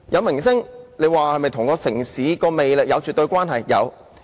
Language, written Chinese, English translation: Cantonese, 明星是否與城市的魅力有絕對關係？, Do stars in the entertainment industry definitely have a relationship to the charm of a city?